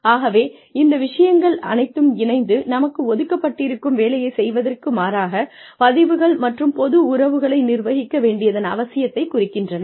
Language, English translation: Tamil, So, all of all of these things combined, indicate a need for, managing impressions and public relations, as opposed to, doing the work, that is on our desks